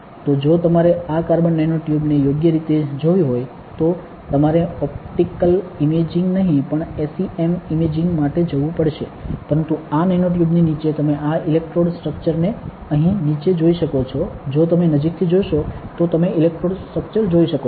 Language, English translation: Gujarati, So, if you have to see these carbon nano tubes properly you have to go for SEM imaging, not optical imaging, but underneath this nanotube you can see this electrode structure here below, you can if you look closely you can see the electrode structure